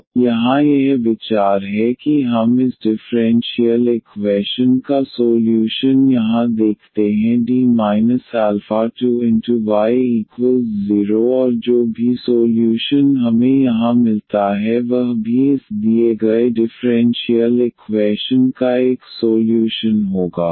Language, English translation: Hindi, So, that is the idea here that we look a solution of this differential equation here D minus alpha 2 y is equal to 0 and whatever solution we get here that will be also a solution of this given differential equation